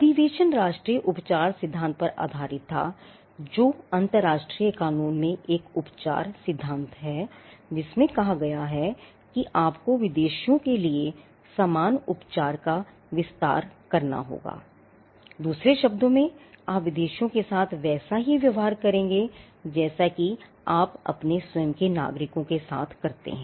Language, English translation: Hindi, The convention was based on the national treatment principle which is a treatment principle in international law stating that you have to extend equal treatment for foreigners, in other words you would treat foreigners as you would treat your own nationals